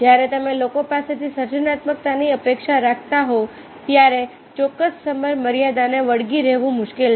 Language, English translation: Gujarati, it is very difficult to stick to a particular dead line when you are expecting the creativity from the people